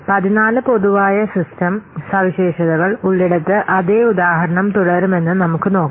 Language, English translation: Malayalam, Now let's see that same example will continue where there are suppose 14 general system characteristics